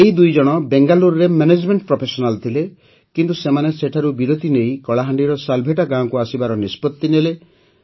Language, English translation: Odia, Both of them were management professionals in Bengaluru, but they decided to take a break and come to Salebhata village of Kalahandi